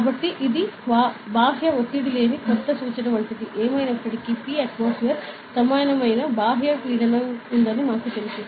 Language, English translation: Telugu, So, this is like a new reference that is devoid of the external pressure; anyway we know that there is an external pressure equivalent to P atmosphere